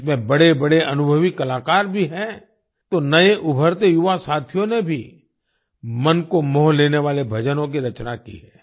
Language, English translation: Hindi, There are many experienced artists in it and new emerging young artists have also composed heartwarming bhajans